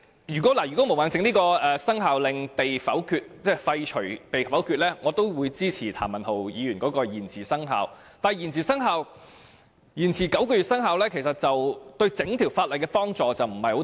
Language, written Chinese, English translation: Cantonese, 如果毛孟靜議員提出的議案被否決，我也會支持譚文豪議員提出修訂規例延遲生效的議案，但延遲9個月生效，對於整項修訂規例的幫助不大。, If the motion proposed by Ms Claudia MO is negatived I will support Mr Jeremy TAMs motion to defer the commencement of the Amendment Regulation but it will not be of much help even if the commencement is deferred by nine months